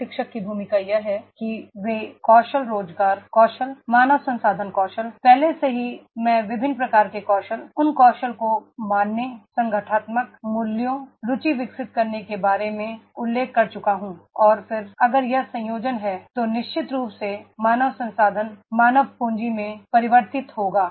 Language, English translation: Hindi, Trainer’s role is that is these skills job skills, HR skills, already I mention about the different types of the skills, those skills imbibing those values, organisational values, developing the interest and then if this combination is there then definitely the human resource that will convert into the human capital